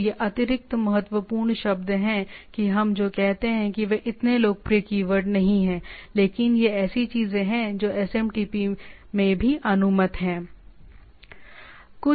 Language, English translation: Hindi, So, these are extra key words not that what we say not so popular keywords, but these are the things which are also allowed in the SMTP